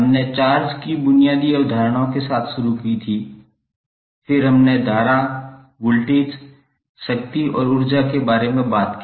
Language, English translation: Hindi, So we started with the basic concepts of charge then we spoke about the current, voltage, power and energy